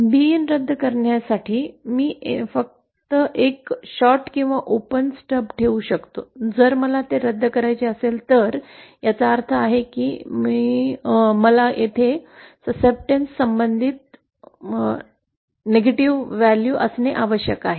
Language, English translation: Marathi, To cancel B in, I can just put a shorted or open stub so if I have to cancel it that means I have to have the corresponding negative value of the succeptance here